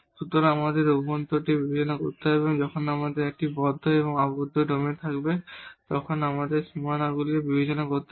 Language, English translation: Bengali, So, we have to consider the interior and we have to also consider the boundaries when we have a closed and the bounded domain